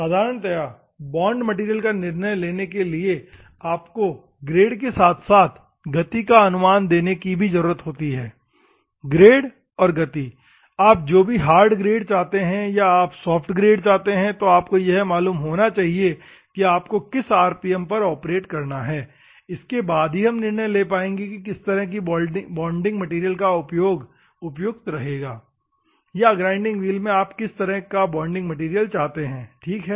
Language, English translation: Hindi, Bond material normally decided by the required grade and also by the speed, speed and grade which grade whether you want a hard grade, whether you want a soft grade or what is the rpm that you want to operate and all those things we will decide which type of bonding material or which type of bond in a grinding wheel you want, ok